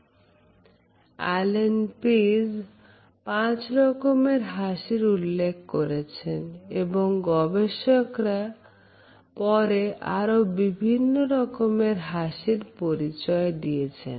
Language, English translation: Bengali, Allan Pease, in his writings has listed 5 common types of a smiles, but later on researchers added some more types